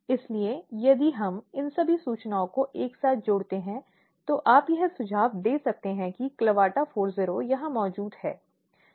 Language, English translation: Hindi, So, here if we combine all these information together, so what you can suggest here is that CLAVATA40 which is present here